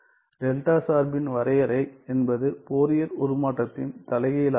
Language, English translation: Tamil, Definition of delta function as an inverse of Fourier transform ok